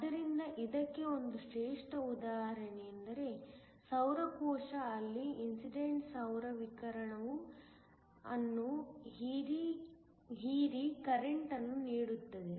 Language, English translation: Kannada, So, a classic example of this is you are solar cell, where the incident solar radiation is absorbed in order to give you current